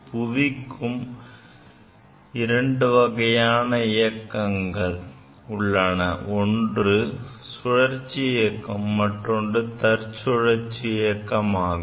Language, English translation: Tamil, There are two motions of the earth, you know, one is orbital motion and another is spinning motion; spinning motion of the earth